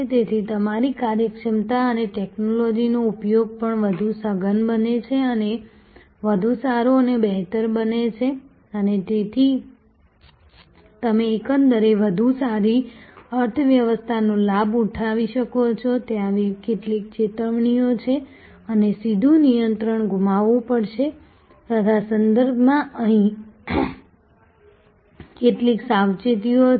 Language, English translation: Gujarati, So, your efficiency and technology usage also gets intensified and better and better and so you are able to leverage on the whole a better economy of scale, there are some caveat and there are some cautions here with respect to that there will be a loss of direct control